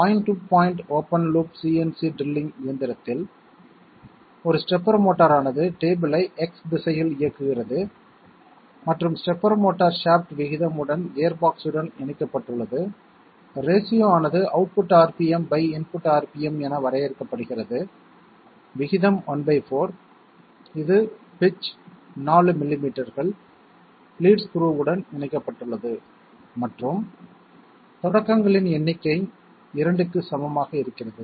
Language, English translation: Tamil, In a point to point open loop CNC drilling machine, a stepper motor drives the table in the X direction and the stepper motor shaft is connected to a gearbox with ratio, racially is defined as output RPM by input RPM, ratio is one fourth which is in turn connected to a lead screw of pitch 4 millimetres and number of starts equal to 2